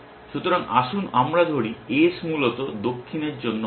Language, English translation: Bengali, So, let us say S stand for south essentially